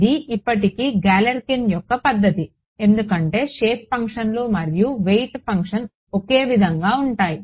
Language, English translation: Telugu, This is still Galerkin’s method because the shape functions and the weight functions are the same